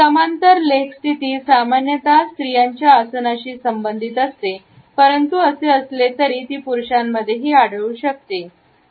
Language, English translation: Marathi, The parallel leg position is normally related with a feminine posture, but nonetheless it can be found in men also